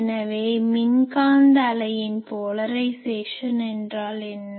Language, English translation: Tamil, So, this wave what is its polarisation